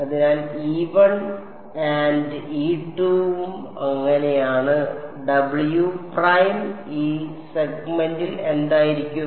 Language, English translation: Malayalam, So, this is e 1 and e 2 so, w prime is going to be what w prime in this segment e 1 e 2